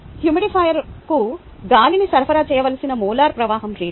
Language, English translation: Telugu, what do we need to find the molar flow rate at which air should be supplied to the humidifier